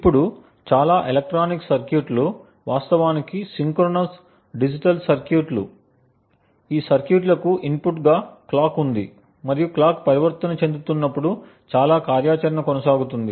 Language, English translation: Telugu, Now most electronic circuits are actually synchronous digital circuits, these circuits have a clock as input and most of the activity goes on when the clock transitions